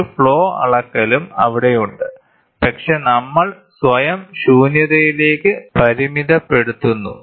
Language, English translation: Malayalam, There is a flow measurement also there, but we are restricting ourselves up to vacuum